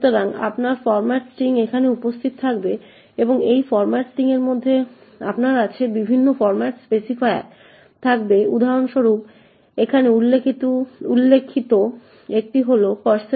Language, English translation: Bengali, So, you would have your format string present here and within this format string you would have various format specifiers for example the one specified over here is %d